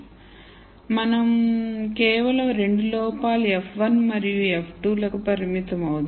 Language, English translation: Telugu, So, we will just stick to 2 faults f 1 and f 2